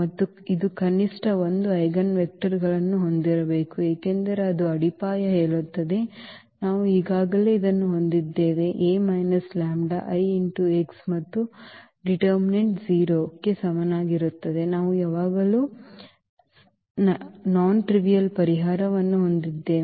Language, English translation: Kannada, And it had it just must to have at least 1 eigenvectors because that is what the foundation says so, we have already this a minus lambda I and the determinant is equal to 0 we have non trivial solution always